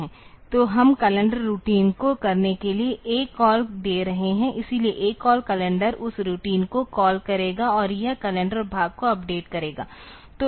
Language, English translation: Hindi, So, we are giving ACALL to the calendar routine for doing that; so, ACALL calendar will call that routine and it will be updating the calendar part